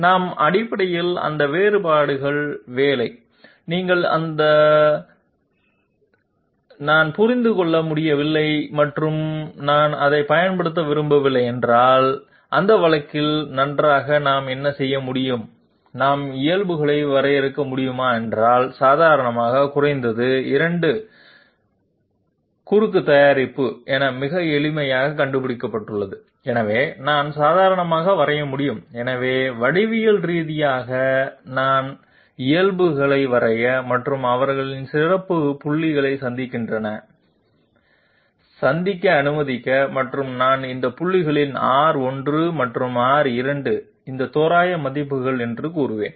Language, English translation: Tamil, We employ basically those expressions, if you say that no I could not understand it and I do not want to use it, fine in that case what we can do is we can draw normals, normal at least has been found out very easily as the cross product of the 2 partials and therefore I can draw the normal, so geometrically I can draw the normals and let them intersect at some point and I will say that these approximate values of R 1 and R 2 at these points